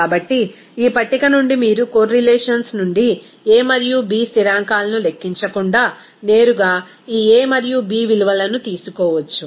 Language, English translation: Telugu, So from this table, you can take this a and b value directly without calculating that a and b constants from the correlations